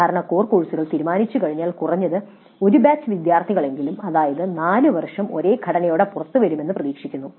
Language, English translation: Malayalam, Typically once the core courses are finalized at least one batch of students is expected to come out with the same structure that is four years